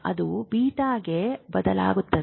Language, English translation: Kannada, It will shift to beta